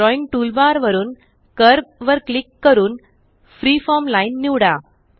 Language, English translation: Marathi, From the Drawing toolbar click on Curve and select Freeform Line